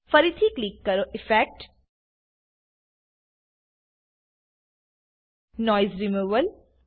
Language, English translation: Gujarati, Again, click on Effect gtgt Noise Removal